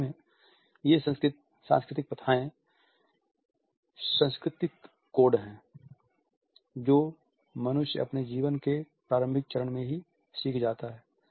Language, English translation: Hindi, These cultural practices in fact, are the culture codes which human beings learn at a very early stage of their life